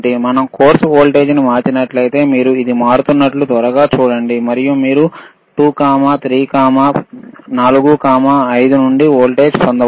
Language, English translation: Telugu, So, Iif we change the course voltage, you will see can you please change it see you can you can quickly see it is changing and you can get the voltage from 2, 3, 4, 5